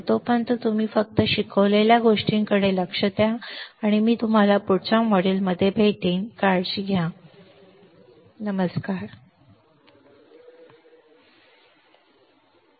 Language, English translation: Marathi, So, till then you just look at the things that I have taught you, and I will see you in the next module take care, bye